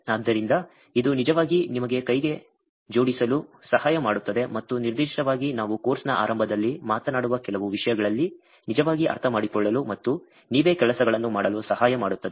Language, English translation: Kannada, So, this will actually help you to get hands on and in particularly some of things that we are going talking early in the course will help you actually to understand and do things by yourself